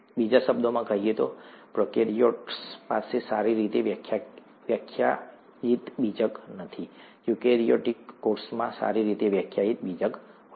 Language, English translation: Gujarati, In other words, prokaryotes do not have a well defined nucleus, eukaryotic cells have a well defined nucleus